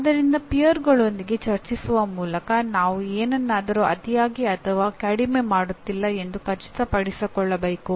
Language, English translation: Kannada, So by discussing with peers we can make sure that we are not overdoing something or underdoing something